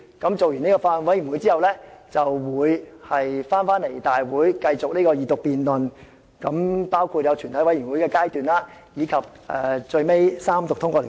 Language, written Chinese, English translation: Cantonese, 待法案委員會完成審議後，再提交立法會會議進行二讀辯論，全體委員會階段，以及最後三讀通過法案。, After the Bills Committee has completed its scrutiny the Bill will subsequently be tabled at a Council meeting for Second Reading debate Committee stage and Third Reading as the final step for passage